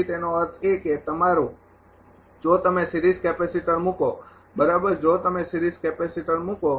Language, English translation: Gujarati, So, ; that means, your if you place the ah series capacitor right if you place the series capacitor